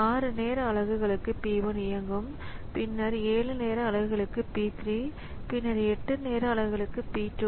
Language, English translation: Tamil, So, P1 executes for 6 time units followed by P3 for 7 time units and then P2 for 8 time units